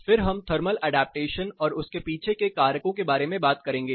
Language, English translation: Hindi, Then we will talk about thermal adaptation and what the factors behind thermal adaptation